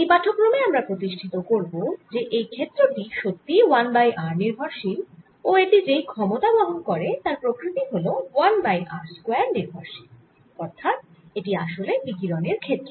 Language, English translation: Bengali, in this lecture we are going to show that this field indeed has a, an r dependence and carries out power that is one over r square, and then that means this is indeed radiation field